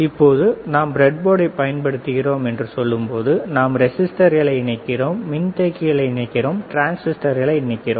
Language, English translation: Tamil, Now, when we say that we are using the breadboard we are we are mounting the resisters, we are mounting the capacitors and we are mounting transistors